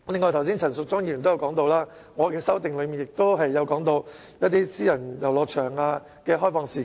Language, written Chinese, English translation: Cantonese, 此外，陳淑莊議員剛才提到，我在修正案內提及私人遊樂場的開放時間。, Furthermore as Ms Tanya CHAN just said I mention the opening hours of private recreational venues in my amendment